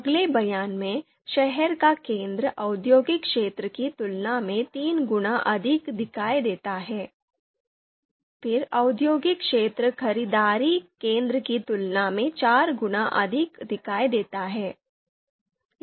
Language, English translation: Hindi, So first one shopping centre two times more visible than the city centre, then the city centre is three times more visible than the industrial area, then industrial area is four times more visible than the shopping centre